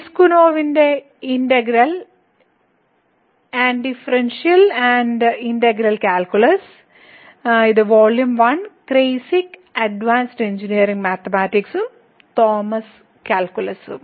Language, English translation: Malayalam, So, the integral a Differential and Integral calculus by Piskunov and this is Volume 1; the Kreyszig Advanced Engineering Mathematics and also the Thomas’ Calculus